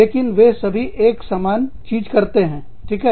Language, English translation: Hindi, But, they are all doing, the same thing